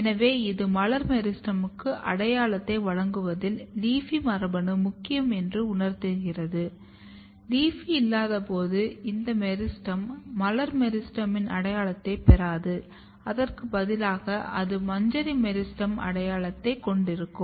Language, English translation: Tamil, This suggest that the LEAFY gene is very important in giving identity to the floral meristem when you do not have LEAFY, this meristem is basically not acquiring floral meristem identity instead of that it looks more kind of inflorescence meristem identity